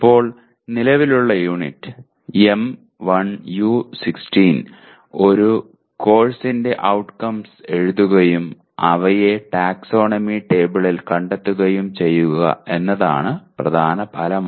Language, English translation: Malayalam, Now the present unit, M1U16, the main outcome is write outcomes of a course and locate them in the taxonomy table